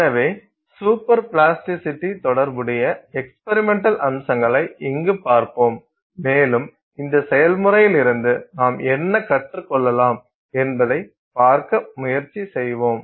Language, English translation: Tamil, So, we look at experimental aspects here associated with super plasticity and try to see what we can learn from this process